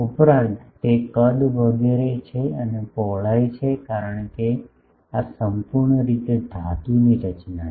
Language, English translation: Gujarati, , and it is width because this is fully a metallic structure